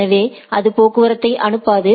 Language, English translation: Tamil, So, that it does not forward traffic